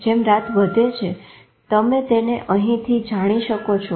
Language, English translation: Gujarati, As the night progresses, you can make it out here